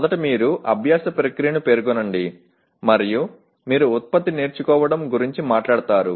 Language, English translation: Telugu, First you state the learning process and then you talk about learning product